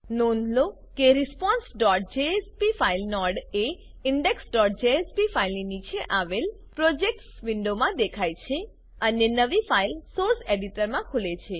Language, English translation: Gujarati, Notice that a response.jsp file node displays in the Projects window beneath the index.jsp file , And the new file opens in the Source Editor